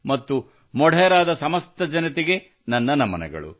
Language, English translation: Kannada, And my salutations to all the people of Modhera